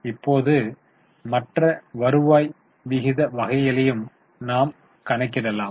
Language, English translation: Tamil, Now we can also calculate other type of turnover ratios